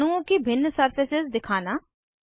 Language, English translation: Hindi, Display different surfaces of molecules